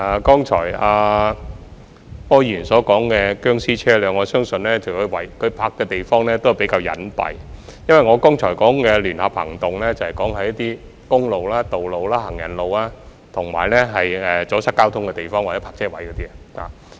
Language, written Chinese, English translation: Cantonese, 剛才柯議員所說的"殭屍車"，我相信停泊的地方比較隱蔽，而我剛才說的聯合行動是處理在公共道路、行人路，以及阻塞交通的地方或泊車位的棄置車輛。, The zombie vehicles mentioned by Mr OR just now are parked at locations which I believe are inconspicuous and the joint action mentioned by me just now is taken against abandoned vehicles on public roads streets and pavements and at locations where obstructions is caused or parking spaces